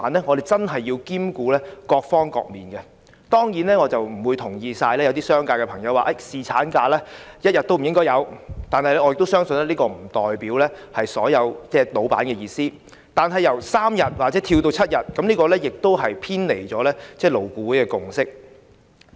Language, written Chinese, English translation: Cantonese, 我們真的要兼顧各方面的需要，當然，我並不完全同意一些商界朋友說"侍產假一天也不應該有"，我相信這並不代表所有老闆的意思，但由3天增至7天，亦偏離了勞顧會的共識。, We indeed have to consider the needs of different stakeholders . Of course I cannot entirely agree with the remark of a Member from the business sector that there should not even be a single day of paternity leave but I do not believe this is the view of all employers . However in my view increasing paternity leave from three days to seven days also deviates from the consensus of LAB